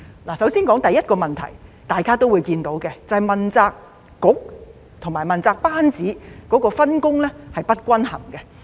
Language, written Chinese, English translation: Cantonese, 我首先說第一個問題，大家都會看到，便是問責局和問責班子的分工是不均衡的。, Now let me start with the first problem which is obvious to all of us . It is the unbalanced division of responsibilities among the accountability bureaux and members of the accountability team